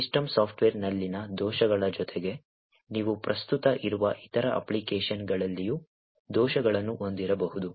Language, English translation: Kannada, In addition to the bugs in the system software, you could also have bugs in other applications that are present